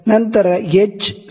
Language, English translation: Kannada, Then h is equal to 0